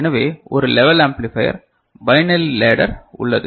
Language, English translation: Tamil, So, there is a level amplifier, there is a binary ladder